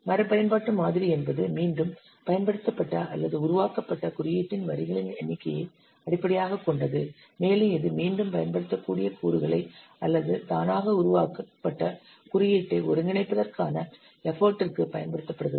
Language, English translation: Tamil, Reuse model is based on number of lines of code that is reused or generated and it is used for effort to integrate reusable components or automatically generated code